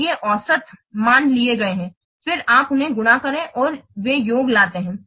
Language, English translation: Hindi, So, these are average values have been taken, and then you multiply them and they take the summation